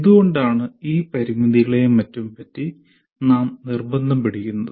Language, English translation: Malayalam, Why we keep insisting on all these constraints and all that